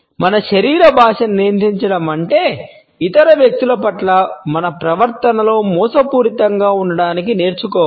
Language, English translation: Telugu, Controlling our body language does not mean that we have to learn to be deceptive in our behaviour towards other people